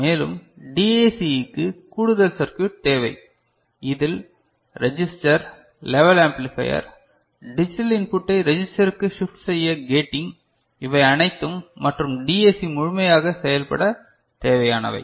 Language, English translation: Tamil, And, we need additional circuit for DAC which involves register, level amplifier, gating to shift digital input to register, all these things and that makes the DAC fully functional